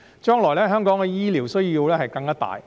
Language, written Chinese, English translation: Cantonese, 將來，香港的醫療需求更加大。, In the future there will be an even greater healthcare demand in Hong Kong